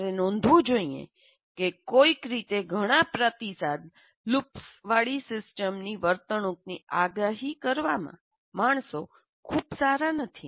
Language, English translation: Gujarati, You should note that somehow human beings are not very good at what do you call predicting the behavior of a system that has several feedback loops inside